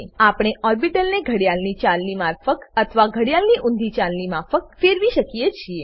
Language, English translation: Gujarati, We can rotate the orbitals clockwise or anticlockwise